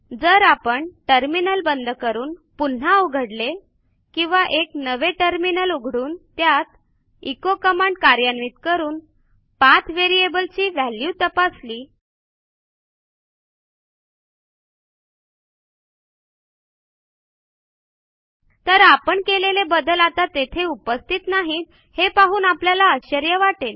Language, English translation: Marathi, If we close the terminal and open it again or open a new terminal altogether and check the path variable by echoing its value We will be surprised to see that our modifications are no longer present